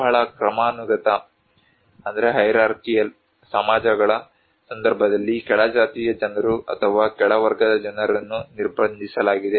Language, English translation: Kannada, In case of very hierarchical societies, the low caste people or low class people are restricted